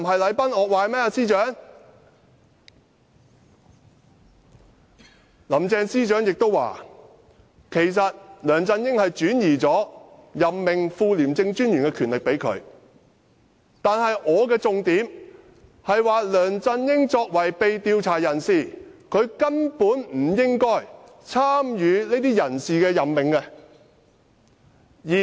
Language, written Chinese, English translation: Cantonese, 林鄭司長亦表示，其實梁振英已向她轉授任命副廉政專員的權力，但我提出的重點是，梁振英作為被調查人士，根本不應參與這些人事任命。, Chief Secretary Carrie LAM has also said that LEUNG Chun - ying had actually delegated to her the power to appoint the Deputy Commissioner but my main point is that LEUNG Chun - ying being under investigation should not take part in the appointment of staff